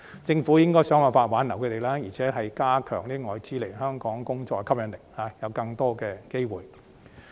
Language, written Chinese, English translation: Cantonese, 政府應該想辦法挽留他們，並加強來香港工作對外資的吸引力，以及提供更多機會。, The Government should find ways to retain them enhance the appeal of working in Hong Kong to foreign investors and provide more opportunities